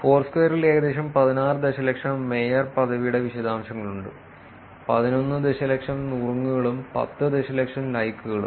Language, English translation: Malayalam, And Foursquare has details of about 16 million mayorship; 11 million tips and close to 10 million likes